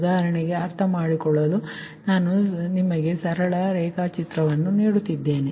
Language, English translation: Kannada, for example, i am giving you a same for your understanding, a simple diagram, suppose